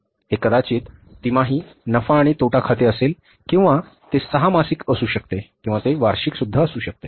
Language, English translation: Marathi, It may be quarterly but profit and loss account it may be six month or it may be annual